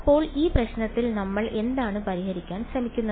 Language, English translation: Malayalam, So, in this problem what are we trying to solve for